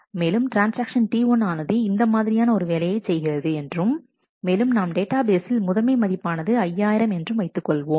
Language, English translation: Tamil, And this is what transaction T 1 is doing and we assume that in the in the database the initial value of a is 5000